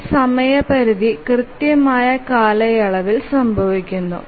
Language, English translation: Malayalam, So the deadline occurs exactly at the period